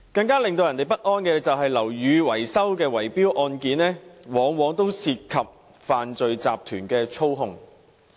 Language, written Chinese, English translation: Cantonese, 更令人不安的是，樓宇維修的圍標案件往往涉及犯罪集團的操控。, More unnerving is that cases of bid - rigging relating to building maintenance often involve manipulation by crime syndicates